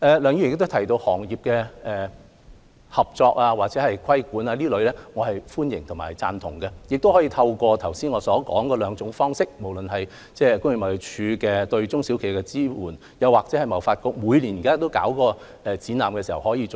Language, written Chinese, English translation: Cantonese, 梁議員亦提到業內合作或規管，我是歡迎和贊同的，亦可以透過我剛才所述的兩種方式，即工業貿易署對中小企的支援，或香港貿易發展局每年舉辦的展覽，為這些企業提供支援。, Regarding Dr LEUNGs suggestion to introduce cooperation or regulation within the industry I welcome and endorse this suggestion . Support can also be provided for these enterprises through the two aforesaid ways that is the support provided by TID for SMEs or the annual Franchising Show organized by TDC